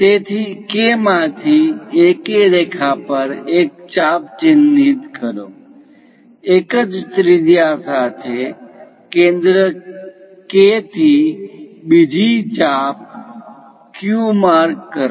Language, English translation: Gujarati, So, from K; mark an arc on AK line; with the same radius, from K as centre; mark another arc Q